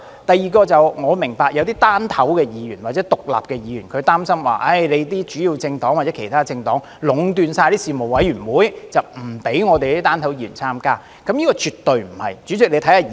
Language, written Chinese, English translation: Cantonese, 第二，我明白有些"單頭"或獨立的議員擔心主要的政黨或其他政黨會壟斷事務委員會，不讓"單頭"的議員參加，但絕對不是這樣的。, Second I understand that some singleton or independent Members are worried that the major or other political parties would dominate the Panels and exclude those singleton Members from joining the Panels but this is definitely not the case